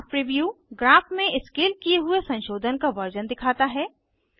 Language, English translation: Hindi, Graph preview displays, a scaled version of the modifications in the graph